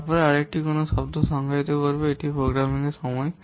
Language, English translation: Bengali, Then another what term will define here, that is the programmer's time